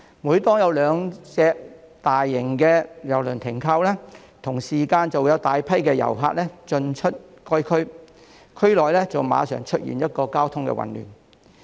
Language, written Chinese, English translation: Cantonese, 每當有兩艘大型郵輪停靠，就會同時間有大量遊客進出該區，令區內馬上出現交通混亂。, Every time when two mega cruise ships berth there masses of visitors go in and out the district simultaneously causing immediate traffic chaos across the district